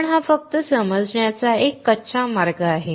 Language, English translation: Marathi, But this is just a crude way of understanding